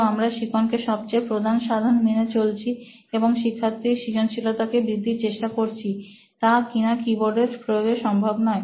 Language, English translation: Bengali, So we are thinking it in terms of learning as the number 1 tool and trying to enhance the creativity of the student which is very meagre in terms of using a keyboard